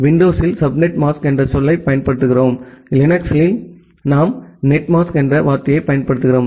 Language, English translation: Tamil, In Windows, we use the term subnet mask; and in Linux we use the term net mask